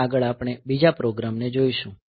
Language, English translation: Gujarati, So, next we will look into another example program